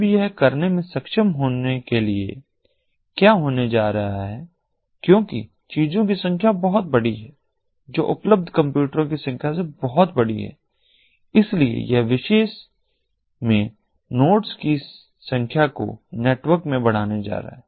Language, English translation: Hindi, what is going to happen is because the number of things is very large, much larger than the number of computers that are available, so it is going to increase the number of nodes in this particular network